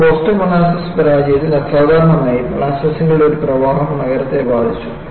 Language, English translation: Malayalam, But in Boston molasses failure, very unusual, you see a flood of molasses affecting the city